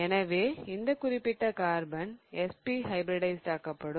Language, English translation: Tamil, So, this particular carbon will be SP hybridized